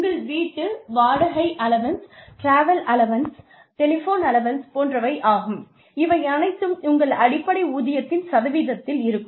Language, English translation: Tamil, Things like, your house rent allowance, your travel allowance, your telephone allowance; all of these are a percentage of your base pay